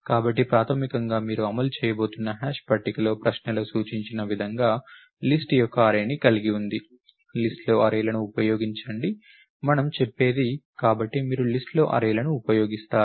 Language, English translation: Telugu, So, basically you going to implement the hash table has an array of list as suggested in the question, use arrays in list is what we says, so you use arrays in list